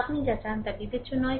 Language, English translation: Bengali, Whatever you want, it does not matter